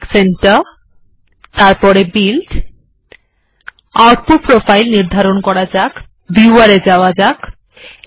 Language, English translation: Bengali, This is texnic center, so build, define output profile, go to viewer